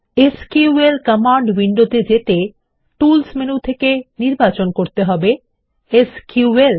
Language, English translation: Bengali, The SQL command window is accessed by choosing SQL from the Tools menu